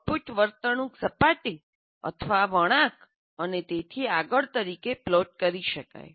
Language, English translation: Gujarati, So the output behavior can be plotted as surfaces or curves and so on